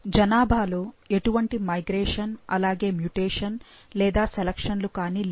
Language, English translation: Telugu, There is no migration, mutation or selection